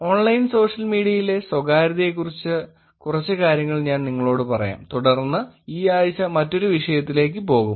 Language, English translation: Malayalam, Let me tell you few things more about privacy on Online Social Media and then we move on to another topic this week